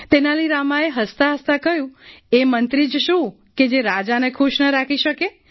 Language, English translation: Gujarati, " Tenali Rama laughingly said, "What good is that minister who cannot keep his king pleased